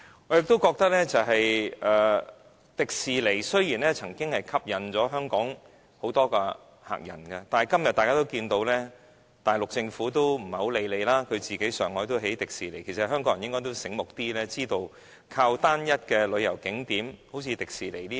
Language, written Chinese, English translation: Cantonese, 我認為，迪士尼樂園雖然曾為香港吸引很多旅客，但今天大家也可看到，大陸政府已不太理會我們，在上海也興建迪士尼樂園，香港人應該醒目一點，知道不能靠單一的旅遊景點如迪士尼樂園等。, Even though the Hong Kong Disneyland once attracted large numbers of visitors it is now well evident that the Mainland Government no longer cares about our interests as a Disneyland was set up in Shanghai . Hong Kong people should be smart enough to realize that we cannot rely on one single tourist attraction such as the Disneyland